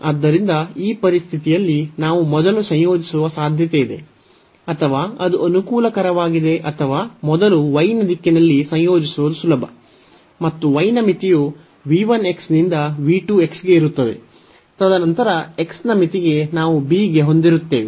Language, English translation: Kannada, So, in this situation we have the possibility now that we should first integrate or it is convenient or it is easier to integrate first in the direction of y, and the limit of y will be from v 1 x to this v 2 x and then for the limit of x we will have a to b